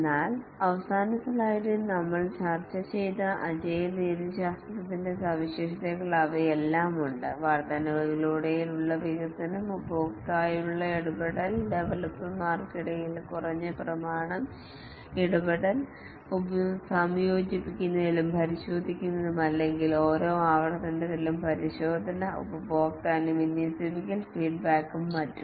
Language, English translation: Malayalam, But then they all have the features of the agile methodologies which we just so discussed in the last slide, development over increments, interaction with the customer, less documentation, interaction among the developers, testing, integrating and testing over each iteration, deploying, getting customer feedback and so on